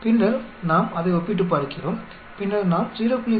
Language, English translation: Tamil, And then we compare it, then we look at 0